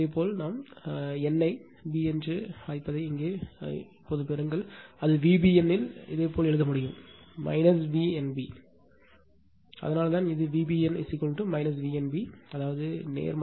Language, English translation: Tamil, Just you obtain the here what we call that what we call n to b right, it is V b n you can write minus V n b that is why, this is V b n is equal to minus V n b that means, positive right